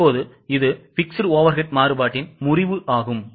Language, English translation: Tamil, Now, let us go to fixed overhead variance